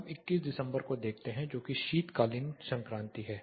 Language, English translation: Hindi, Now, let us look at December 21st that is winter solstice